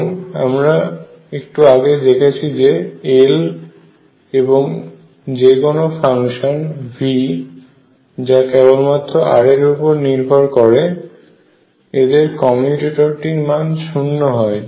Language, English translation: Bengali, And we have just seen that L commutator with function V with that depends only on r it is also 0